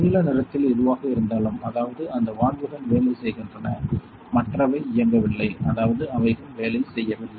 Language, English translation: Tamil, So, whichever is blue in color; that means, those valves are on they are working right; others these are not on; that means, they are not working it